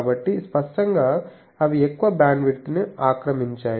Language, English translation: Telugu, So, obviously they are so short in time they occupy large bandwidth